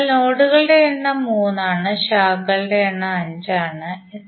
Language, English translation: Malayalam, So number of nodes are 3, number of branches are 5